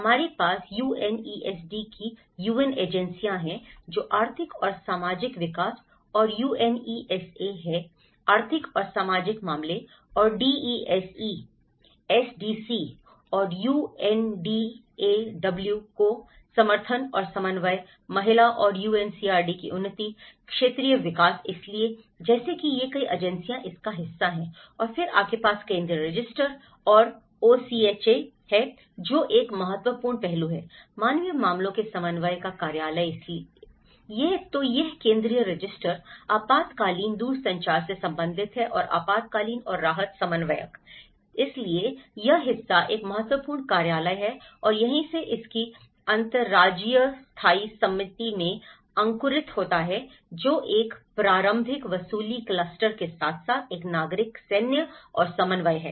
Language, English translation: Hindi, And DESE; support and coordination to echoed SDC and UNDAW; advancement of woman and UNCRD; Regional Development so, like that these number of agencies part of it and then you have the Central Register and OCHA, which is an important aspect, the office of the coordination of the humanitarian affairs so, it is related with the Central Register, emergency telecommunications and emergency and relief coordinator so, this part is an important office and that is where the its sprungs into Interagency Standing Committee which is an early recovery cluster as well as a civil military and coordination